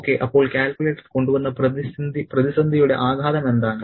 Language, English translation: Malayalam, Okay, so what is the impact of the crisis brought about by the calculator